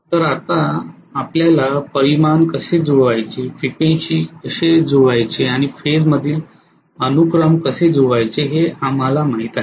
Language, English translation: Marathi, So now we know how to match the magnitude, how to match the frequency and how to match the phase sequence